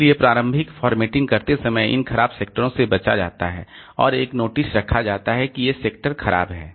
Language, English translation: Hindi, So, while doing the initial formatting these bad sectors are avoided and there is a notice kept that these are bad sectors, so no data will be written there